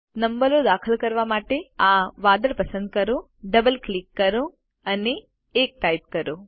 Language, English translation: Gujarati, To insert the numbers, lets select this cloud, double click and type 1